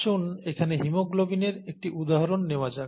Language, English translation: Bengali, Let us take an example here in the case of haemoglobin